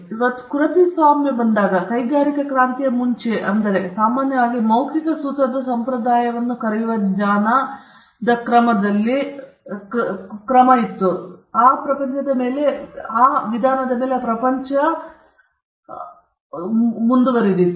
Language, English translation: Kannada, So, before copyright came I mean this is just before industrial revolution the world followed a means of transmitting knowledge what we commonly call the oral formulaic tradition